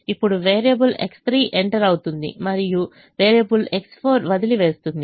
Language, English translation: Telugu, now variable x three will enter and variable x four will leave